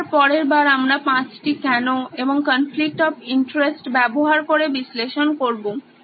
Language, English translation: Bengali, Again we will analyse this next time using 5 whys and the conflict of interest